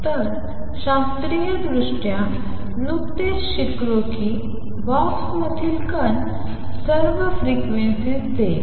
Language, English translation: Marathi, So, classically just learnt that particle in a box will give all frequencies